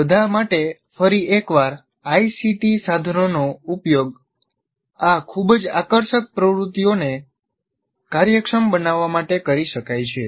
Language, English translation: Gujarati, And for all this, once again, ICT tools can be used to make this very, very engaging activity efficient